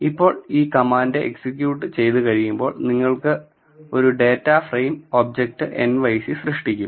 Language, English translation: Malayalam, Now, once this command is executed it will create an object nyc which is a data frame